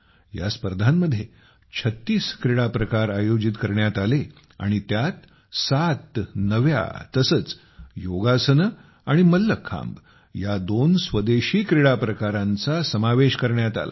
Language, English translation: Marathi, 36 sports were included in this, in which, 7 new and two indigenous competitions, Yogasan and Mallakhamb were also included